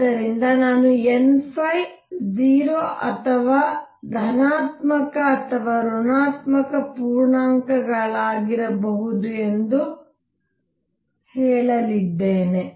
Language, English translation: Kannada, So, I will going to say n phi could be 0 or positive or negative integers